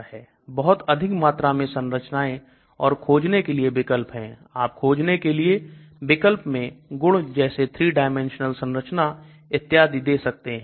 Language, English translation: Hindi, Again this has got large number of structure, searchable options, you can give properties searchable options, 3 dimensional structures searchable options and so on